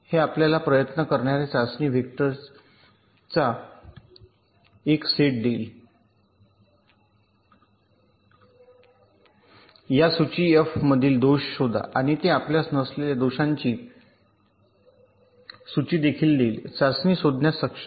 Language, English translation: Marathi, what this tool will give you as output: it will give you a set of test vectors, t that tries to detect faults from this list f, and also it will give you ah list of the faults for which it was not able to find ah test